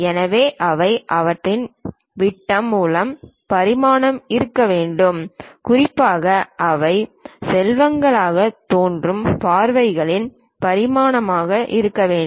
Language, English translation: Tamil, So, they should be dimension by their diameters, especially should be dimensioned in the views that they appear as rectangles